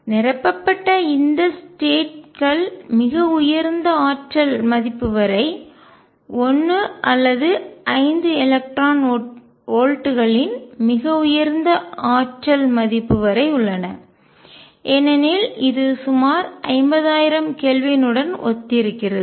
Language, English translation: Tamil, This states that are filled are all the way up to a very high energy value of 1 or 5 electron volts very high energy value because this corresponds roughly 50000 Kelvin